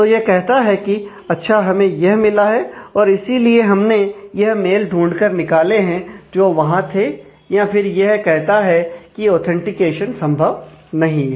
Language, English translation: Hindi, So, it is says that well this is have been found and therefore, we have extracted the mails in the inbox that existed, or it is says that the authentication is not possible